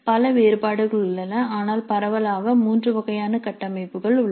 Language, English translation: Tamil, There are many variations but broadly there are three kind of structures which are available